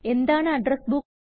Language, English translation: Malayalam, What is an Address Book